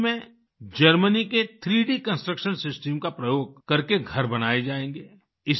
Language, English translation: Hindi, In Ranchi houses will be built using the 3D Construction System of Germany